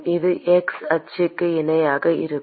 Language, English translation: Tamil, It is going to be parallel to the x axis